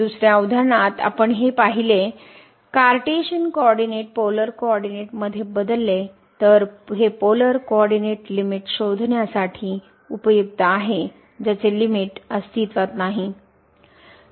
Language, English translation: Marathi, In another example what we have seen this changing to polar coordinate is also useful for determining that the limit does not exist